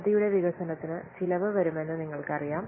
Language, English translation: Malayalam, You know that development of the project will incur some cost